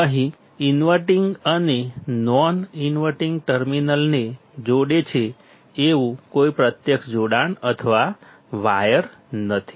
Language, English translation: Gujarati, There is no physical connection or wire here that is connecting the inverting and the non inverting terminal